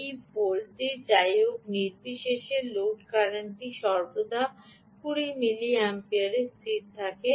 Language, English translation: Bengali, so irrespective of what this voltage is, the load current always is fixed to twenty milliamperes